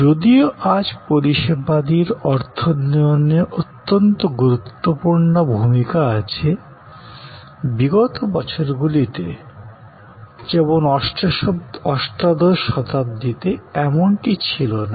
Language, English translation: Bengali, Now, though today, service has very paramount, very prominent position in the economy, in the earlier years, in 18th century, it was not so